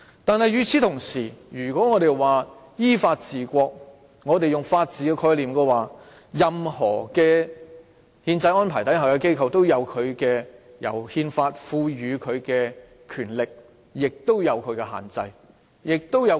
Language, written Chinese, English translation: Cantonese, 但是，與此同時，我們說依法治國，從法治的概念來看，任何憲制中的機構都有由憲法賦予的權力，但同時受其限制及約束。, Meanwhile we are talking about governing the country in accordance with law . Judging from the concept of the rule of law all constitutional organs have their powers conferred by and at the same time regulated and restrained by the Constitution